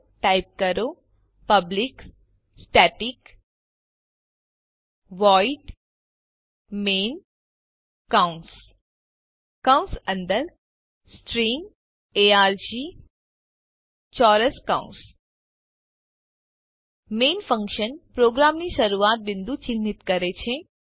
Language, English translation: Gujarati, So type: public static void main parentheses inside parentheses String arg Square brackets Main functions marks the starting point of the program